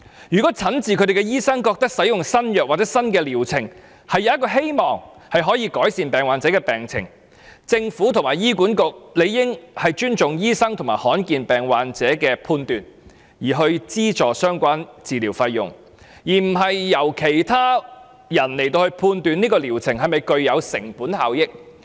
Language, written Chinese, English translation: Cantonese, 如果診治他們的醫生認為使用新藥物或新療程，有希望改善病患者的病情，政府和醫管局理應尊重醫生和罕見疾病患者的判斷，資助相關治療費用，而不是由其他人判斷這個療程是否具有成本效益。, If their attending doctors are of the view that using a certain new drug or new treatment can improve the health condition of the patients the Government and HA should respect the judgment of the doctors and rare disease patients and subsidize the treatment fees concerned rather than counting on a third party to decide whether the treatment is cost - effective